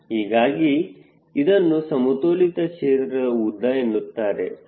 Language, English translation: Kannada, so this is the balance field length definition